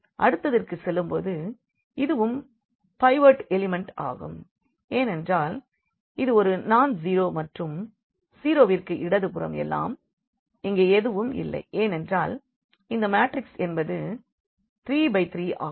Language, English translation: Tamil, Going to the next this is also a pivot element because this is nonzero and everything left to zero and there is nothing here because the matrix was this 3 by 3